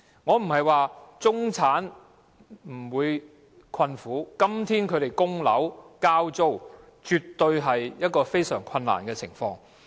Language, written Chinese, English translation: Cantonese, 我不是說中產沒有困苦，今天他們要供樓、交租，絕對是處於非常困難的情況。, I am not saying that the middle - class people do not have any difficulty . They have to meet their mortgage repayments and rentals and they are absolutely in a very difficult situation